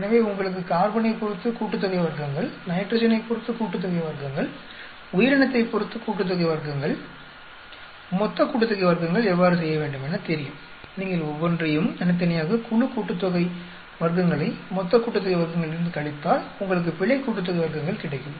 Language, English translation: Tamil, So, as you know you know how to do the sum of squares with the respect to the carbon, sum of squares with respect to the nitrogen, sum of squares which is respect to the organism, total sum of squares, you subtract each one of the individual, group sum of squares from total sum of squares, that will give you an error sum of squares